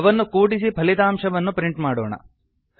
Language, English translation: Kannada, Let us add them and print the result